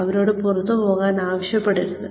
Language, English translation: Malayalam, Do not ask them, to get out